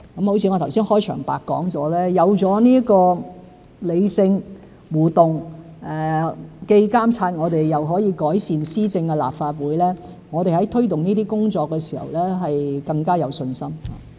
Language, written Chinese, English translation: Cantonese, 就像我剛才在開場白所說，有了這理性、互動、既監察我們又可以改善施政的立法會，我們在推動這些工作的時候更有信心。, As I said in my opening remark the Legislative Council can now monitor our performance and enhance our governance through rational and interactive discussions giving us more confidence in taking forward such legislative amendments